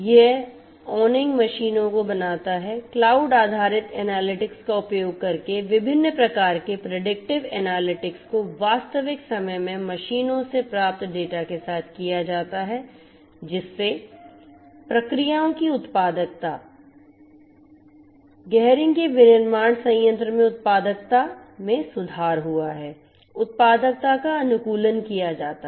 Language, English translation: Hindi, Gehring is in the space of connected manufacturing it makes honing machines, using cloud based analytics different types of predictive analytics is done with the data that are received from the machines in real time, thereby the productivity of the processes productivity in the manufacturing plant of Gehring is improved the optimization of productivity is done and so on